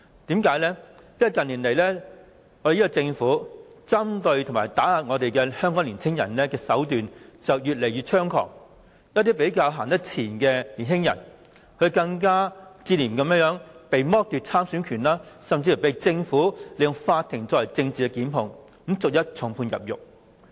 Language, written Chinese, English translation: Cantonese, 因為，近年政府針對和打壓香港年青人的手段越來越猖狂，一些走得較前的年青人更接連被剝奪了參選的政治權利，政府甚至利用法庭作政治檢控，把他們逐一重判入獄。, It is because in recent years the Government has become increasingly rampant to suppress Hong Kong young people . Some young people who are taking a step forward in certain movements are deprived of their rights to participate in politics . The Government even made use of the courts of law to instigate political prosecutions by passing heavy sentences and sending them to jail one by one